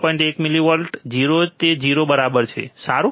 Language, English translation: Gujarati, 1 millivolts 0 it is 0 ok, good alright